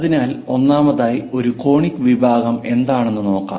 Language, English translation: Malayalam, So, first of all, let us look at what is a conic section